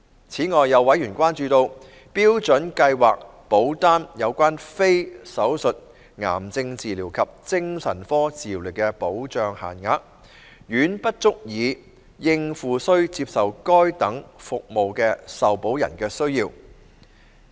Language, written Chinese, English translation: Cantonese, 此外，有委員關注到，標準計劃保單有關非手術癌症治療及精神科治療的保障限額，遠不足以應付須接受該等服務的受保人的需要。, In addition members have also expressed concern that the benefit limits for non - surgical cancer treatments and psychiatric treatments are far from adequate to meet the needs of those insured persons requiring such services